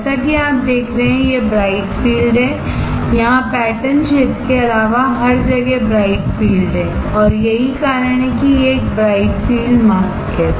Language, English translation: Hindi, As you see here the field is bright, here the field is bright everywhere the except around the pattern area and which is why it is a bright field mask